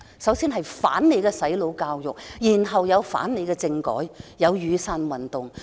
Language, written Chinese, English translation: Cantonese, 首先是反對"洗腦"國民教育，然後是反對政改，繼而出現雨傘運動。, First they opposed the brainwashing national education . Then they opposed the constitutional reform proposal giving rise to the Umbrella Movement